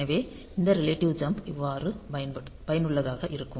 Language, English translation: Tamil, So, that is how this relative jumps are going to be useful